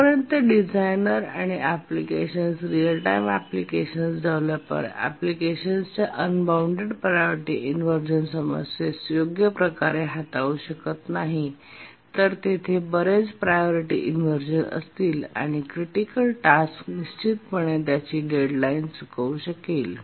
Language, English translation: Marathi, Let me repeat again that unless a designer and application, real time application developer handles the unbounded priority inversion problem properly, then there will be too many priority inversions and a critical task can miss its deadline